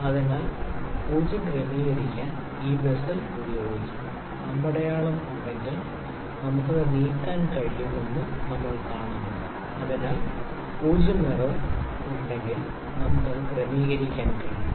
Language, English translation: Malayalam, So, this bezel can be used to adjust the 0, we see we can move it if there is arrow, so, if there is 0 error we can adjust it